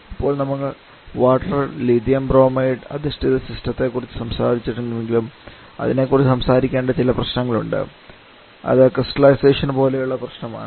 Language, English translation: Malayalam, Now though we have talked about water lithium bromide based system that has certain issues to be talked about like that can be crystallization problem